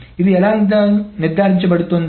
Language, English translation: Telugu, How is it being made sure